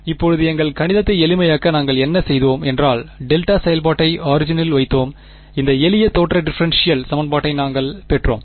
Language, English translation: Tamil, Now, what we had done to simplify all our math was that we put the delta function at the origin right; and that is how we got this simple looking differential equation